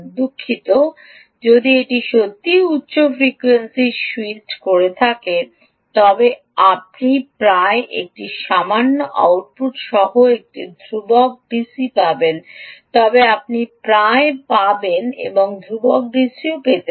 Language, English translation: Bengali, oh, sorry, if it is really switching at high frequency, you will almost get a constant d c with a little bit jagging, but you will almost get a constant d, c